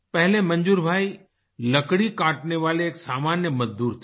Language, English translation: Hindi, Earlier, Manzoor bhai was a simple workman involved in woodcutting